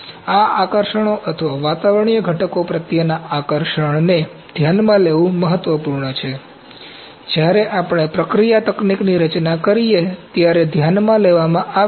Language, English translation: Gujarati, So, these attractions or affinity to atmospheric constituents are important to be considered, to be taken into account when we design the processing technique